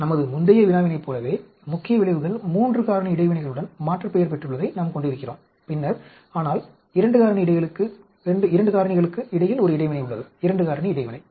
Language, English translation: Tamil, Like in our previous problem, we have the main effects aliased with 3 factor interactions and then, but there is an interaction between the 2 factors, 2 factor interaction